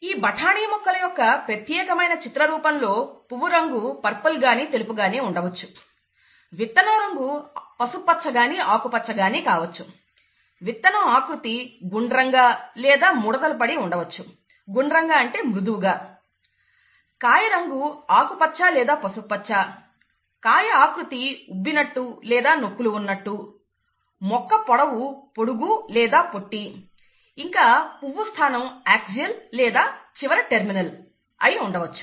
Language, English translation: Telugu, Here, we see it in a pictorial form in the particular case of pea plants; the flower colour would either be purple or white; the seed colour would either be yellow or green; the seed shape would be round or wrinkled, by round it is actually smooth, round or wrinkled; the pod colour could either be green or yellow; the pod shape could be either inflated or constricted; the stem length could be either tall or dwarf; and the flower position could be either axial or at the end, terminal, okay